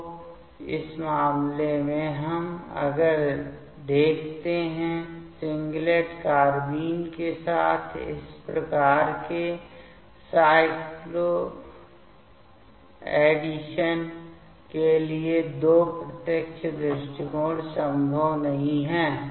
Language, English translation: Hindi, So, in this case also if we see that these two direct approach are not possible for these type of cycloadditions with singlet carbene